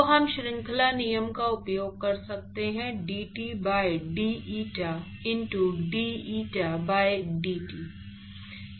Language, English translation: Hindi, So, we can use chain rule, the dT by d eta into d eta by dt